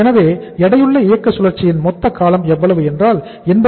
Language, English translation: Tamil, So total uh duration of the weighted operating cycle is how much, 80